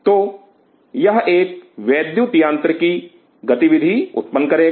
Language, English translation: Hindi, So, it will generate an electro mechanical activity